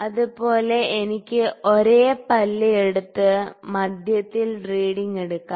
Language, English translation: Malayalam, Similarly, I can pick the same tooth and take the reading at the centre